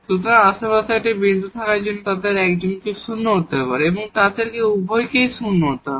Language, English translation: Bengali, So, to have a point in the neighborhood one of them has to be non zero both of them have to be non zero